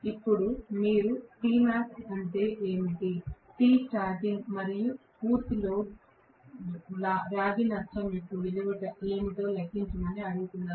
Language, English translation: Telugu, Now you are being asked to calculate what is t max what is t starting and what is the value of full load copper loss